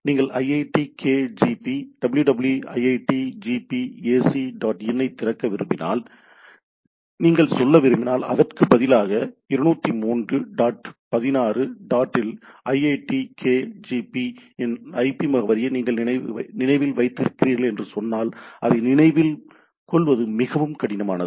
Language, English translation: Tamil, If you want to say if you want to open iitkgp “www iitkgp ac dot in” and instead of this if I say that you remember the IP address of iitkgp at 203 dot 16 dot so and so forth it is very tedious to remember